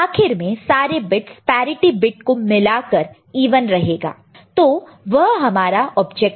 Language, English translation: Hindi, Ultimately, all the bits including the parity bit will be even, so that is the objective, right